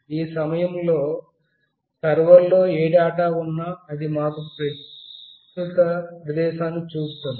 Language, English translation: Telugu, Whatever data is there in the server at this point of time, that will give us the current location